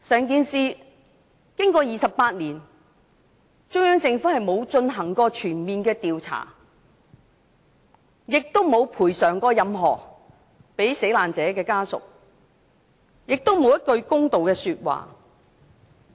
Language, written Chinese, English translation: Cantonese, 經過28年，中央政府沒有進行全面調查，沒有向死難者家屬作出任何賠償，也沒有說過一句公道說話。, After 28 years the Central Government has not conducted any comprehensive investigation has not paid any compensation to family members of the deceased and has not made any fair comments